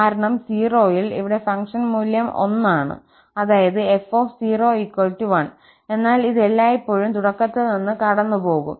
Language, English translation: Malayalam, Because at 0, the function value here is 1, the f at 0 is 1, but this will always pass from the origin